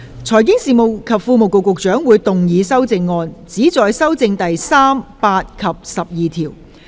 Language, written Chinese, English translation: Cantonese, 財經事務及庫務局局長會動議修正案，旨在修正第3、8及12條。, Secretary for Financial Services and the Treasury will move amendments which seek to amend clauses 3 8 and 12